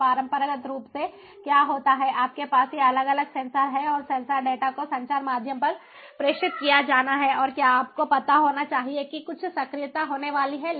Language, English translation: Hindi, so, traditionally, what happens is you have these different sensors and the sensor data has to be transmitted over the communication medium and has to be, you know, based on that, some actuation is going to happen